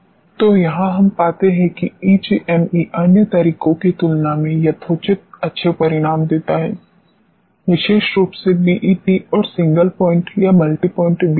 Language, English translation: Hindi, So, this is where we find that EGME gives to the reasonably good results as compare to the other methods, particularly BET and single point or multipoint BETs